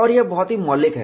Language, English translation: Hindi, And this is very very fundamental